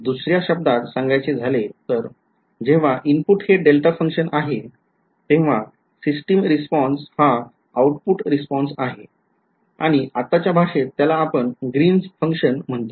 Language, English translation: Marathi, So, in other words the system response when the input is a delta function is called the impulse response and in this language that we are using now its called the greens function